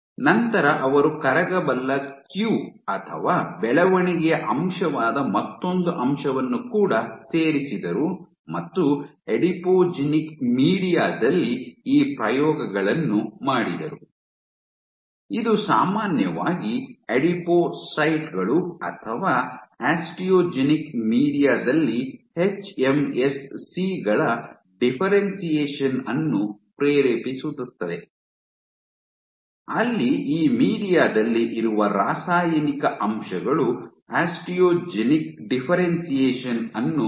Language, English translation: Kannada, And then they also added one more factor which is your soluble queue or growth factor they also added did these experiments in the context of adipogenic media, which would typically induce differentiation of hMSCs in adipocytes or Osteogenic media where the chemical factors present in this media induces osteogenic differentiation